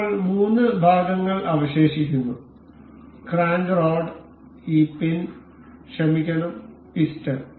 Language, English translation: Malayalam, Now, there remains the three parts, the crank rod and this pin and the sorry the piston